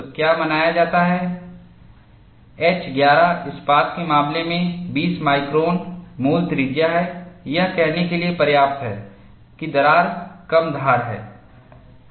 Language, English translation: Hindi, So, what is observed is, in the case of H 11 steel, 20 micron root radius is enough to say that, the crack is blunt